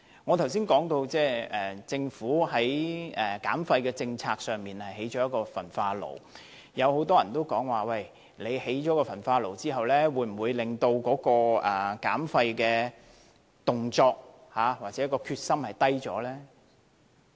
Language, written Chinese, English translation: Cantonese, 我剛才說政府的減廢政策包括興建一座焚化爐，很多人問興建焚化爐後，會否削弱減廢的動力或決心？, As I said earlier the waste reduction policy of the Government includes building an incinerator . Many people wonder if the Governments incentive or determination to reduce waste will weaken upon the commissioning of the incinerator